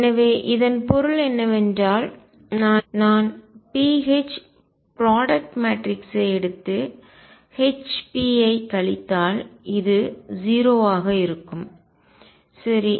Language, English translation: Tamil, So that means, if I take the product pH matrix and subtract hp this would be 0 right